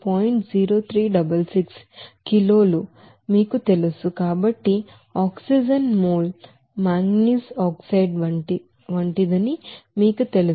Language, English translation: Telugu, 0366 kg you know mole of oxygen is as manganese oxide